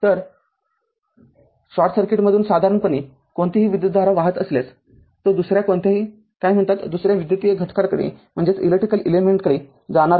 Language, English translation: Marathi, So, if generally any source any current flow through the short circuit, it will not go to any your what you call any other electrical element